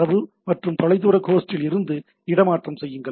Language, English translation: Tamil, Transfer data to and from the remote host